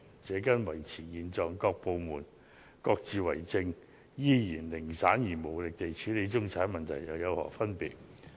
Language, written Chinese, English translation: Cantonese, 這跟維持現狀，各部門各自為政，依然零散無力地處理中產問題又有何分別呢？, Is it not the same as maintaining the status quo letting all departments go their own way and handling issues concerning the middle class in a piecemeal manner?